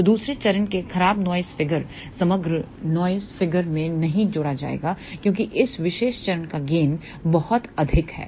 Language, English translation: Hindi, So, even poor noise figure of the second stage will not add to the overall noise figure because the gain of this particular stage is very very high